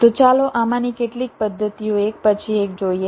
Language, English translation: Gujarati, ok, so let us look at some of these methods one by one